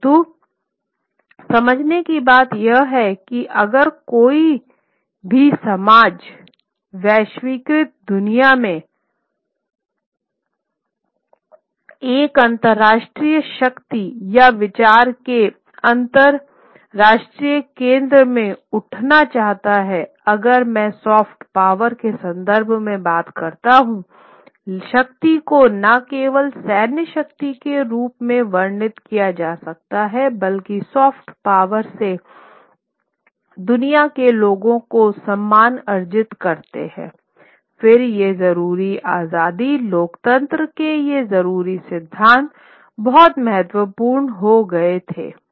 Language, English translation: Hindi, But the point to understand is that if any society wants to, in a globalized world, wants to rise as an international power or international center of thought, if I talk in terms of soft power, power may not only be described as military power, but in soft power, earn the respect of the people of the world